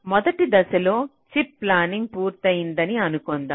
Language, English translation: Telugu, so in the first step, ah, we assume that already chip planning is done